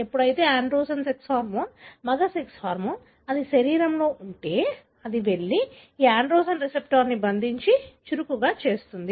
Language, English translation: Telugu, Whenever there is androgen, the sex hormone, the male sex hormone, if it is there in the body it will go and bind to this androgen receptor and make it active